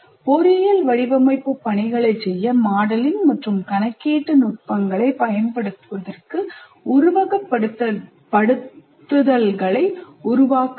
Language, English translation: Tamil, And then build simulations to apply modeling and computational techniques to perform engineering design tasks